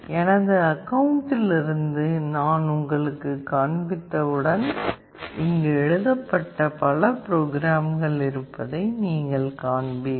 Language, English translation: Tamil, Once I show you from my account you will see that there are many programs that are written here